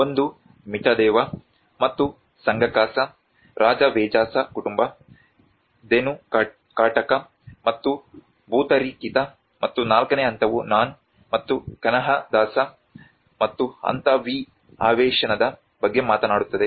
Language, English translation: Kannada, One is the Mitadeva and Sanghakasa, Rajavejasa family, Dhenukakataka and Bhutarakhita and whereas phase IV it talks about Nun and Kanhadasa and phase V Avesena